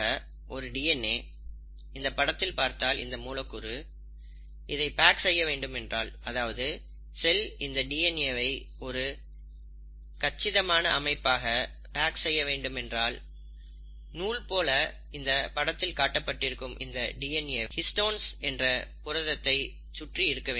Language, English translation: Tamil, When you want to package it, when the cell wants to package this DNA into a compact structure, this DNA, here it's represented as a string, actually winds around a set of proteins called as the ‘Histones’